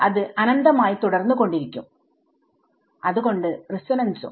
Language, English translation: Malayalam, It keeps going on forever right, so the resonance